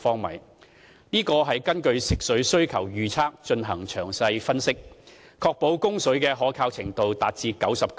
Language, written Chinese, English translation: Cantonese, 為制訂這個上限，我們根據食水需求預測進行詳細分析，並確保供水的可靠程度達 99%。, In determining this ceiling we have carried out detailed analyses based on forecast freshwater demand and made sure that water supply reliability can reach 99 %